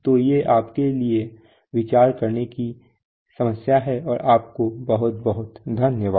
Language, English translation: Hindi, So these are problems for you to ponder on and thank you very much